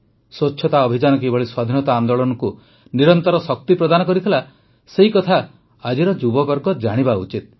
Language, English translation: Odia, Our youth today must know how the campaign for cleanliness continuously gave energy to our freedom movement